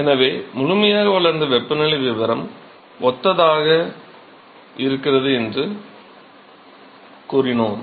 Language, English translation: Tamil, So, we said fully developed regime temperature profile is similar ok